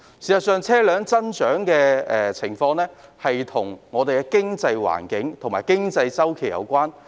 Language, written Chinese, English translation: Cantonese, 事實上，車輛增長的情況與我們的經濟環境和經濟周期有關。, As a matter of fact vehicle growth is correlated to our economic environment and business cycle